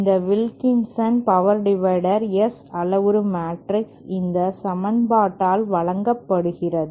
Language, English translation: Tamil, The S parameter matrix of this Wilkinson power divider can be given by this equation